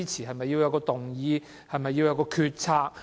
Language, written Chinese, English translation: Cantonese, 是否要有動議或決策？, Should a motion be moved or a decision be made?